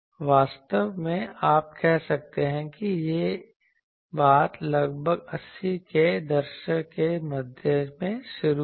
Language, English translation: Hindi, And actually with you can say roughly in mid 80’s this thing started